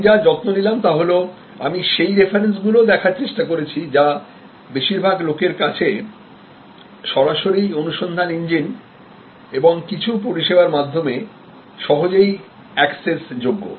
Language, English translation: Bengali, But, what I have taken care is that, I have tried to sight those references which are readily accessible to most people directly through the search engines and some of the services